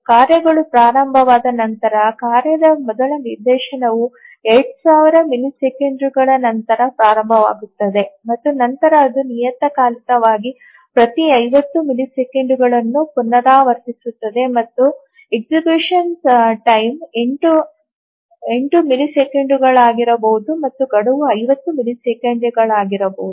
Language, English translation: Kannada, And then once the task starts the first instance of the task starts after 2,000 milliseconds and then it periodically recurs every 50 milliseconds and the execution time may be 8 milliseconds and deadline is 50 milliseconds